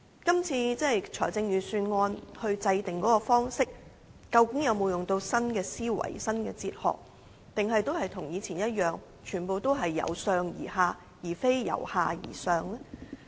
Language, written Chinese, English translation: Cantonese, 這次制訂預算案的方式究竟有否採用新思維和新哲學，還是跟以前一樣，全部也是由上而下，而非由下而上呢？, Were new thinking and new philosophy adopted in the formulation of this Budget or was the past practice of a top - down approach rather than a bottom - up approach adopted?